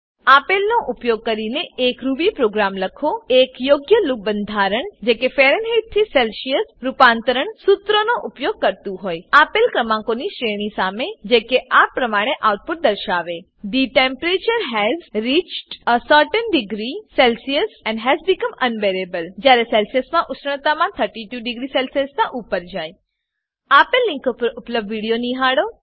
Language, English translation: Gujarati, Write a Ruby program using the appropriate loop construct that uses the Fahrenheit to Celsius conversion formula against the given range of numbers To display the output: The temperature has reached a certain degree Celcius and has become unbearable when the temperature in Celcius is above 32 degree Celcius Watch the video available at the following link